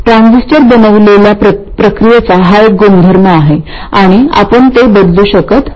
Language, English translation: Marathi, It's a property of the processing with which the transistor is made and we can't change that